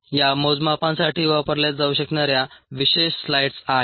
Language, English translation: Marathi, there are ah slides, specialized slides that can be use for these measurements